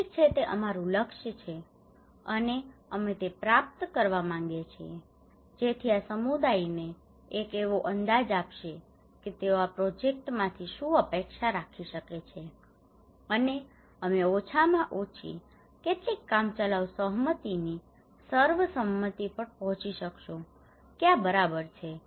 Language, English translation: Gujarati, Okay these are some of our goal, and that we would like to achieve so this will give the community an idea that what they can expect from this project and we can reach to a consensus in the very beginning at least some tentative consensus that okay